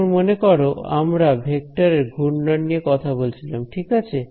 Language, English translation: Bengali, Now remember we are talking about the swirl of a vector right